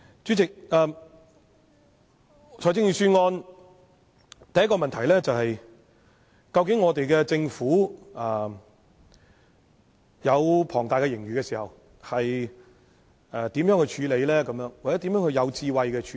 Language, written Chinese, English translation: Cantonese, 主席，對於財政預算案須提出的第一個問題是，究竟我們的政府在擁有龐大盈餘時應如何處理或如何有智慧地處理？, Chairman concerning the Budget the first question that I wish to ask is Given an enormous surplus how should the Government handle it or how should it be handled wisely?